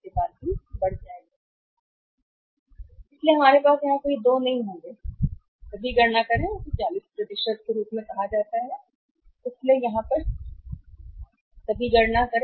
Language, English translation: Hindi, So, here we will have no two; make all the calculations this is called as at 40%, so now will make the all calculation here